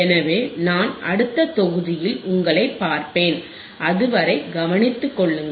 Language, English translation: Tamil, So, I will see you in the next module, till then take care